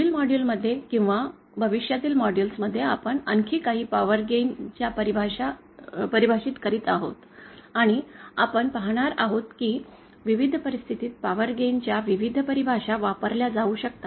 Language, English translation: Marathi, In the next modules or future models, we will be defining some more power gain terms and we will see that for various situations in a transducer, various definitions of power gain can be used